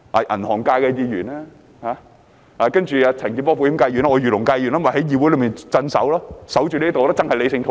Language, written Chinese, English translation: Cantonese, 銀行界的議員，保險界的陳健波議員，我是漁農界議員，我便在議會內鎮守，守着這裏，維持理性討論。, Members from the banking sector Mr CHAN Kin - por from the insurance sector and I from the agriculture and fisheries sector have to stay in the legislature guard this place and maintain rational discussion